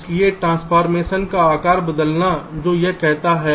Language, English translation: Hindi, so resizing transformation what it says